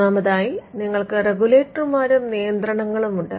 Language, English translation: Malayalam, Thirdly you have the regulators and the regulations